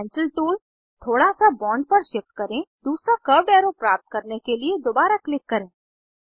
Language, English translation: Hindi, Shift the Pencil tool a little on the bond, click again to get second curved arrow